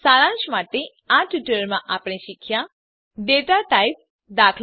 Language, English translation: Gujarati, Let us summarize In this tutorial we learnt, Data types eg